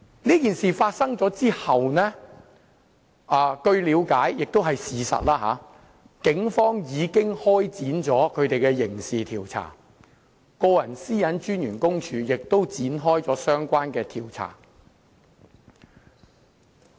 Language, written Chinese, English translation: Cantonese, 這件事發生後，據了解而且也是事實，警方已經開展刑事調查，個人資料私隱專員公署也展開了相關調查。, I have learnt and it is also a fact that the Police have initiated a criminal investigation into the incident and the Privacy Commissioner for Personal Data has also started a related investigation